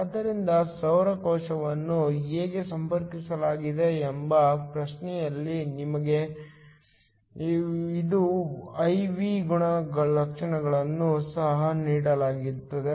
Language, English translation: Kannada, So, in the question along with how the solar cell is connected, we are also given it is I V characteristics